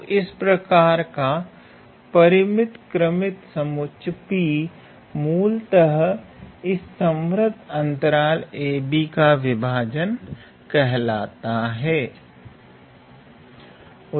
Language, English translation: Hindi, So, such kind of finite ordered set P is basically called as the partition of a, b of this closed interval a, b